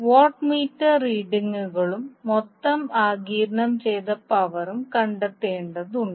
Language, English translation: Malayalam, We need to find out the watt meter readings and the total power absorbed